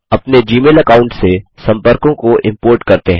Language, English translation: Hindi, Lets import the contacts from our Gmail account